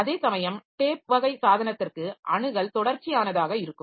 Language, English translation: Tamil, Whereas for tape type of device, so there the access is sequential